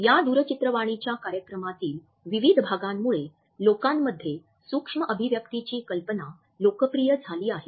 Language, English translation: Marathi, Various episodes of this TV show had popularized the idea of micro expressions in the public